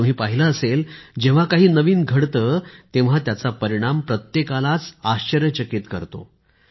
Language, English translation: Marathi, And you must have seen whenever something new happens anywhere, its result surprises everyone